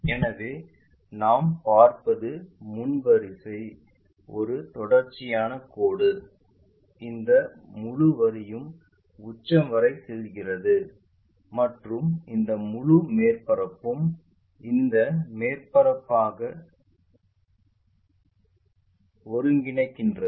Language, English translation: Tamil, So, what we will see is the frontal one a continuous line, this entire line goes all the way to apex and this entire surface maps as this surface